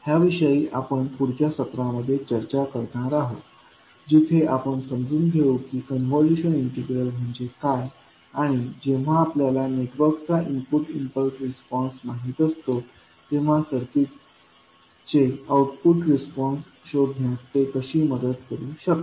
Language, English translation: Marathi, This, we will discuss in the next session where we will see what do we mean by the convolution integral and how it can help in finding out the output response of a circuit where we know the input impulse response of the network